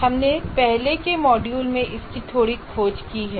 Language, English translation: Hindi, We have explored a little bit in the earlier module